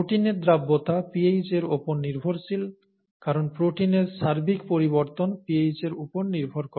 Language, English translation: Bengali, The protein solubility is pH dependent because the net charge on the protein is pH dependent, right